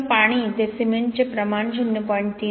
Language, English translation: Marathi, So this is a water to cement ratio 0